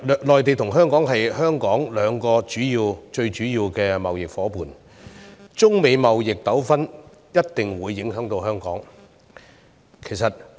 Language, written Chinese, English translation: Cantonese, 內地和美國是香港兩個最主要的貿易夥伴，因此中美貿易糾紛一定會影響到香港。, Since the Mainland and the United States are the two biggest trade partners of Hong Kong we will certainly be affected by their trade conflicts